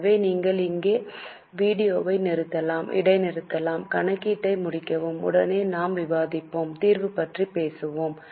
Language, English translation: Tamil, So, you can pause the video here, complete the calculation and right away we are ready with the solution to you